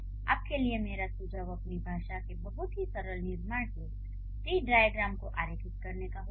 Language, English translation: Hindi, So, my suggestion for you would be try to draw the tree diagrams of the very simple constructions of your own language